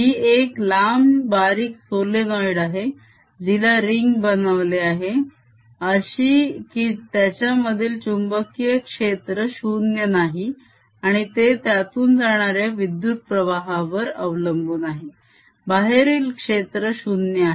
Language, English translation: Marathi, this is a long, thin solenoid which has been turned into around ring so that the field inside this is non zero, depending on the direction of the current outside field is zero